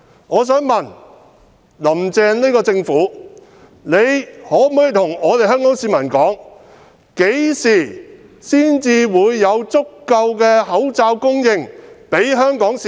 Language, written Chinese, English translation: Cantonese, 我想問，"林鄭"政府可否告訴香港市民，何時才有足夠的口罩供應給香港市民？, Can the Carrie LAM Government tell the people of Hong Kong when there will be an adequate supply of face masks to the public?